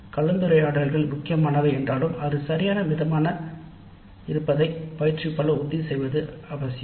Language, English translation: Tamil, While discussions are important, it is also necessary for the instructor to ensure that proper moderation happens